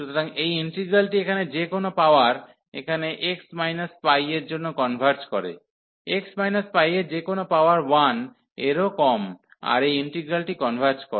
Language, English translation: Bengali, So, this integral converges for any power here x minus p, x minus pi power any power here less than 1 this integral converges